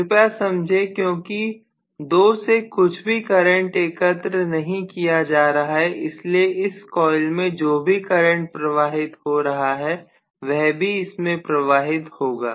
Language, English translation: Hindi, Please understand because nothing is collecting the current from 2 so whatever is the current that is flowing in this coil will also flow into this